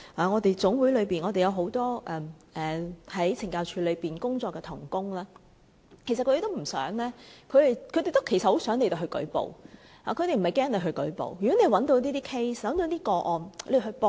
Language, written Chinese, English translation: Cantonese, 我們的總會內有很多在懲教署工作的同工，其實他們都很想有人舉報，他們不害怕有人舉報，如果你們找到一些個案，請舉報。, Indeed they very much wish that someone can report the cases . They are not afraid of these reports . Should Members can gather evidence please go ahead and report them